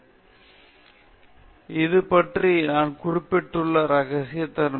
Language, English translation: Tamil, So, this is what I mentioned about confidentiality